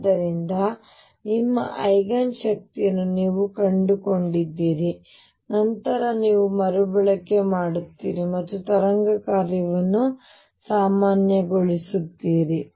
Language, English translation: Kannada, So, you found your Eigen energy then you rescale and again normalize the wave function and all that